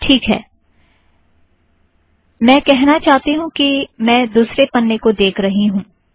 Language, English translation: Hindi, Alright, what I want to say is that I am looking at the second page